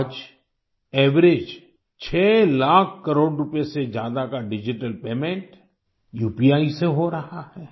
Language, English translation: Hindi, Today, on an average, digital payments of more than 2 lakh crore Rupees is happening through UPI